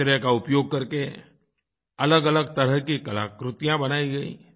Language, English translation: Hindi, Different types of artifacts were made utilizing garbage